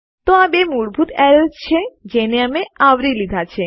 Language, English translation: Gujarati, So thats two basic errors that we have covered